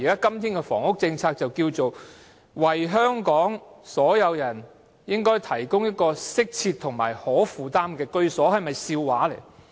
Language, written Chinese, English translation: Cantonese, 今天，當局的房屋政策是，"為香港市民提供適切及可負擔的居所"，這是否笑話呢？, Today the housing policy of the Government seeks to provide adequate and affordable housing for the people of Hong Kong . What a joke